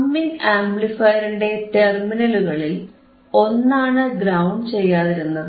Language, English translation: Malayalam, One of the terminals of the summing amplifier was not properly grounded